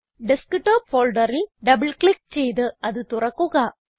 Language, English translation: Malayalam, Lets open the Desktop folder by double clicking on it